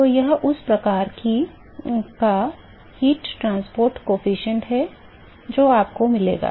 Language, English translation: Hindi, So, this is the kind of heat transport coefficient profile that you will get